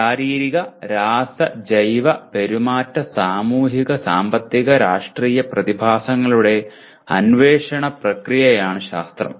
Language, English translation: Malayalam, Here science is a process of investigation of physical, chemical, biological, behavioral, social, economic and political phenomena